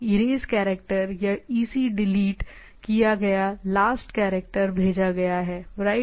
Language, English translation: Hindi, There is Erase Character or EC delete last character sent right